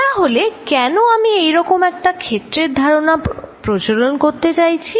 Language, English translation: Bengali, Then, why I am introducing such an idea of a field